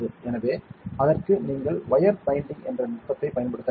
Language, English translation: Tamil, So, for that you need to use a technique called wire bonding ok